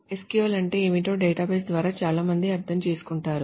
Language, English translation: Telugu, Many people by database understands what SQL is